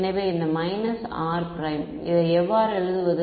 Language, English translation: Tamil, So, this r minus r prime how do we write it